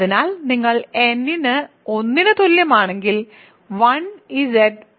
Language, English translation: Malayalam, So, if you take n equal to 1, 1 Z is just 1 Z